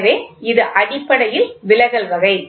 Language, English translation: Tamil, So, it is basically deflection type